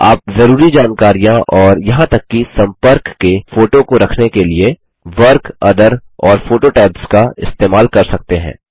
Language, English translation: Hindi, You can use the Work, Other and Photo tabs to store relevant information and even the photograph of the contact